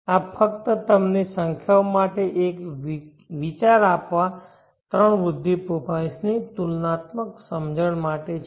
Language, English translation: Gujarati, So this is just to give you an idea with the numbers a comparative understanding of the three growth profiles